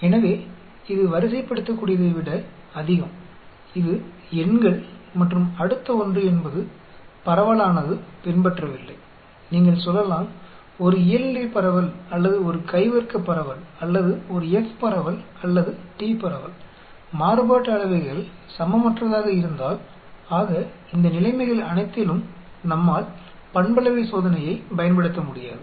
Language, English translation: Tamil, So, it is more of ordinal it is numbers and next one is if the distribution does not follow you say a Normal distribution or a Chi square distribution or a F distribution or T distribution, if the variances are unequal, so all these conditions we cannot use the parametric test